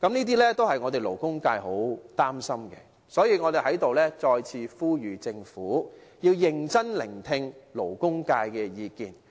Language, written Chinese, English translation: Cantonese, 這些都是勞工界很擔心的，所以我們再次呼籲政府，要認真聆聽勞工界的意見。, The labour sector is very worried about these questions . We thus urge the Government again to seriously listen to the views from the labour sector